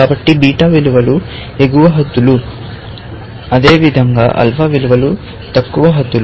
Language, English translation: Telugu, So, beta values are upper bounds, and likewise, alpha values are lower bounds